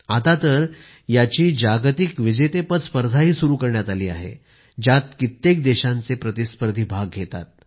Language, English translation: Marathi, And now, its World Championship has also been started which sees participants from many countries